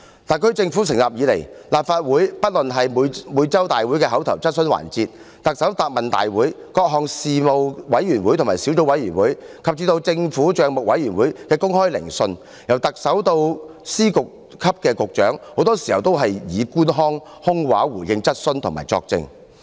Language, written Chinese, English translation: Cantonese, 特區政府自成立以來，在立法會的會議席上——不論是每周會議的口頭質詢環節、行政長官答問會、各個事務委員會及小組委員會的會議，以至政府帳目委員會的公開聆訊——特首至司局級官員很多時均以官腔及空話來回應質詢及作證。, Since the inception of the Special Administrative Region Government the Chief Executive and Secretaries of Departments and Directors of Bureaux alike often speak in official tones or make empty talks in replying questions or giving evidence in meetings of the Legislative Council whether in the oral question sessions in the weekly meetings the Chief Executives Question and Answer Sessions meetings of various panels and subcommittees as well as the public hearings of the Public Accounts Committee